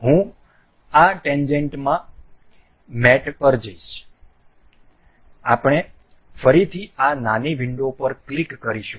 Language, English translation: Gujarati, I will go to mate in this tangent, we click on this small window again